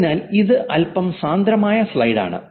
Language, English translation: Malayalam, So this is slightly a dense slide